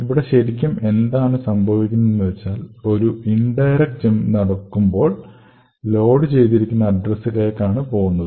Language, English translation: Malayalam, So, essentially what is going to happen here is when you make an indirect jump, so you jump to a location specified at this particular address